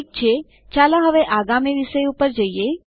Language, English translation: Gujarati, Okay, let us go to the next topic now